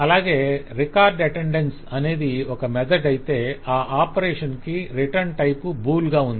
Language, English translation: Telugu, Record attendance is a method, is an operation and it will return a bool